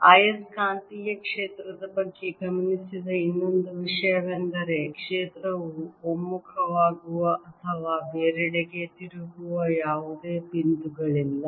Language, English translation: Kannada, the other thing which is observed about magnetic field is that there are no points where the field converges to or diverges from